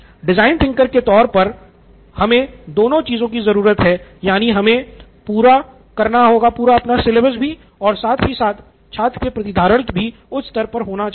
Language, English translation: Hindi, So as design thinkers what we generally need are these two which is the covered syllabus and student retention to be very high, so this is my desired result